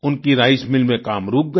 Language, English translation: Hindi, Work stopped in their rice mill